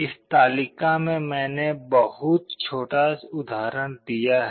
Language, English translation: Hindi, In this table I have given a very small example